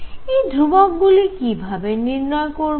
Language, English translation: Bengali, How do we determine these constants